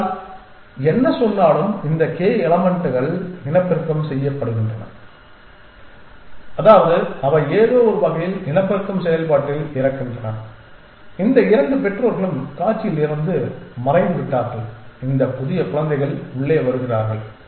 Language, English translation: Tamil, , so whatever saying that that this k elements get to reproduce which means they die in some sense in the process of reproduction that we have these 2 parents vanish from the scene and inside this new children come in essentially